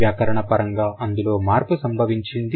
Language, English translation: Telugu, So, the grammatical category has changed